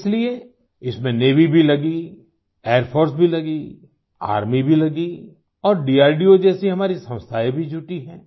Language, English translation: Hindi, That is why, in this task Navy , Air Force, Army and our institutions like DRDO are also involved